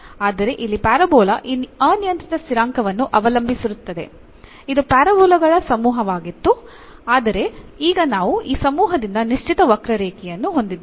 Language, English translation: Kannada, But here that parabola depends on this parameter it was a family of the parabolas, but now we have a particular curve out of this family